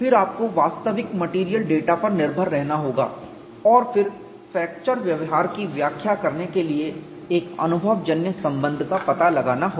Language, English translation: Hindi, So, partly it is a physics based then you have to depend on actual material data and then find out a empirical relationship to explain the fracture behavior